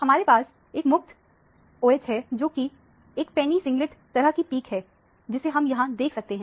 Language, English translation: Hindi, You have a free OH, which is a sharp singlet kind of a peak is what is seen here